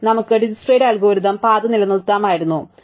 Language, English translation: Malayalam, We could have maintained the Dijkstra's algorithm the path, right